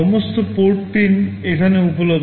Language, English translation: Bengali, All the port pins are available here